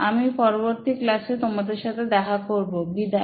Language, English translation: Bengali, So see you next class, bye